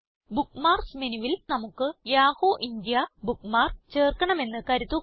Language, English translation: Malayalam, Lets say we want to add the Yahoo India bookmark to the Bookmarks menu